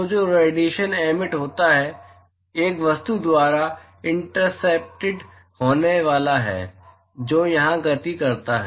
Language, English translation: Hindi, So, the radiation that is emitted is going to be intercepted by an object which is paced here